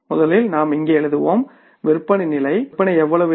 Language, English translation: Tamil, First we will write here the sales level